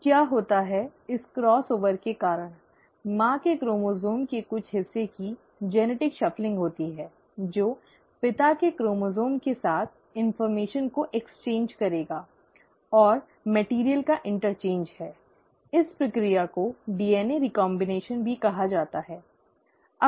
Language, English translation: Hindi, So what happens is because of this cross over, there is a genetic shuffling of some part of the mother’s chromosome will exchange information with the father’s chromosome, and there is an interchange of material; this process is also called as DNA recombination